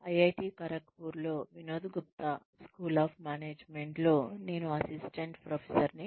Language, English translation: Telugu, I am an assistant professor, in Vinod Gupta school of management, at IIT Kharagpur